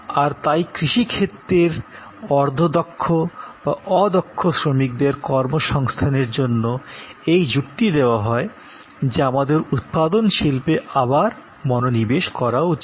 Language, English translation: Bengali, And therefore, to take agricultural semi skilled or unskilled labour and find them gainful employment, people are arguing that we need refocus on manufacturing industries